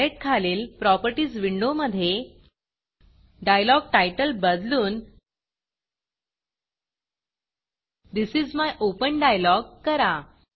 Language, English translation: Marathi, In the Properties window below the Palette, Change the dialogTitle to This is my open dialog